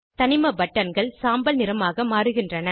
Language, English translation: Tamil, All element buttons turn to grey